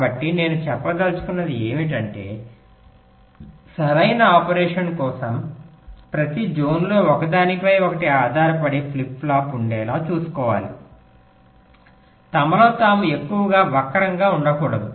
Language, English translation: Telugu, so what i mean to say is that for correct operation, so we must ensure that in every zone, the flip flops which depend on each other, there should not be too much skew among themselves